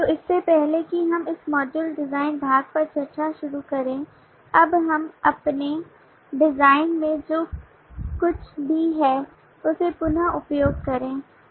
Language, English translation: Hindi, so before we start discussing on this module the design part let us recap what we have in our design by now